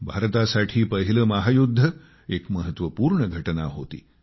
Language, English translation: Marathi, For India, World War I was an important event